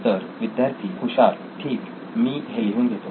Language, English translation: Marathi, So students , okay I will let you write it